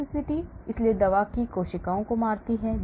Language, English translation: Hindi, Cytotoxicity; so the drug kills cells